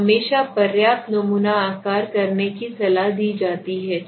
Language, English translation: Hindi, So it is always advisable to have a adequate sample size thanks for the moment